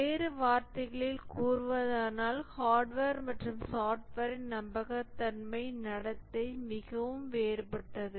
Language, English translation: Tamil, In other words, the behavior, the reliability behavior of hardware and software are very different